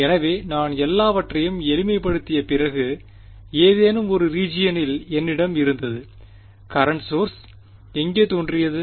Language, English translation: Tamil, So, after I simplified everything I had something like in either region and the where did the current source appear